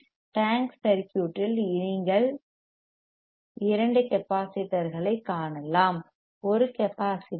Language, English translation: Tamil, InSo, this is the tank circuit you can see two inductors, one capacitor